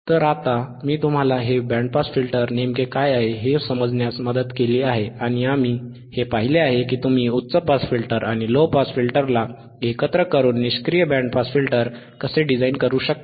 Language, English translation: Marathi, So now, I help you to understand what exactly this band pass filter is, and we have seen how you can design a passive band pass filter by using the high pass filter and low pass filter by integrating high pass filter and low pass filter together in passive way it becomes passive band pass filter